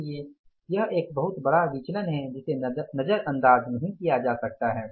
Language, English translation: Hindi, So, this is a very big variance which cannot be ignored